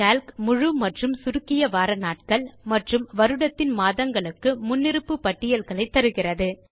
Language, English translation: Tamil, Calc provides default lists for the full and abbreviated days of the week and the months of the year